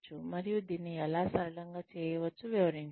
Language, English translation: Telugu, And explain, how it can be made simpler